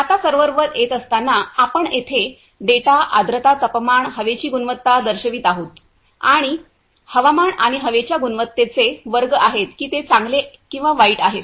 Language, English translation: Marathi, Now coming to the server, you can see here it is showing the data humidity, temperature, air quality and there is classes of the weather and air quality whether it is good or bad